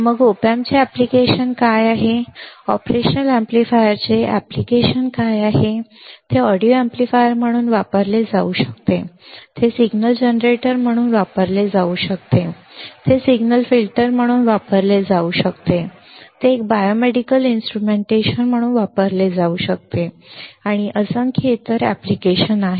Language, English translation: Marathi, Then what are the applications of op amps, what are the application of operational amplifier, it can be used as an audio amplifier, it can be used as a signal generator, it can be used as a signal filter, it can be used as a biomedical instrumentation and numerous other applications, numerous other applications ok